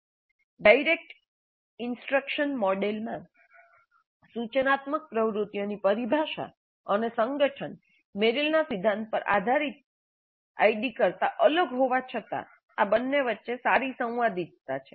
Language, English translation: Gujarati, Though the terminology and organization of instructional activities in direct instruction model is different from those of the ID based on Merrill's principles, there is good correspondence between these two